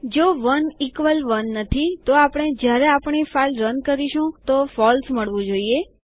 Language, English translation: Gujarati, If 1 is not equal 1, what we should get when we run our file is False